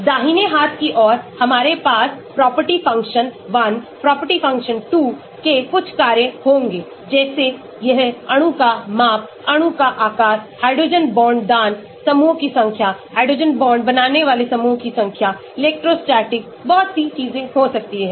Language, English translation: Hindi, Right hand side; we will have some function of property 1, property 2 like it could be size of the molecule, shape of the molecule, number of hydrogen bond donating groups, number of hydrogen bond forming groups, electrostatic, so many things